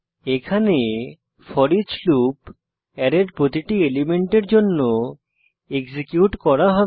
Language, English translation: Bengali, Here, foreach loop will be executed for each element of an array